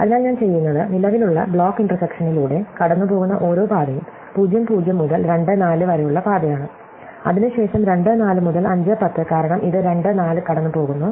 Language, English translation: Malayalam, So, what I will do is, I will say, that every path it goes through the current block intersection is a path from (0, 0) to 92, 4) followed by a path from (2, 4) to (5, 10) because it goes through (2, 4)